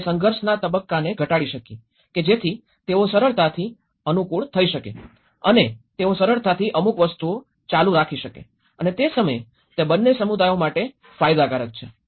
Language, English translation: Gujarati, So that we can reduce the conflict stage so that they can easily adapt and they can easily continue certain things and at the same time it is a benefit for both the communities